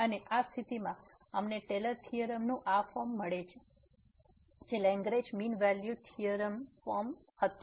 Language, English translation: Gujarati, And in this case we get this form of the Taylor’s theorem which was which was the Lagrange form mean value theorem